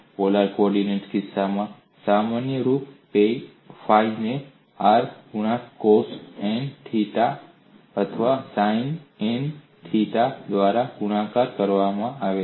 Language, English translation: Gujarati, In the case of polar coordinates, the generic form is phi equal to function of r, multiplied by cos n theta, or sin n theta